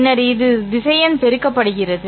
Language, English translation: Tamil, So, vector multiplied by a number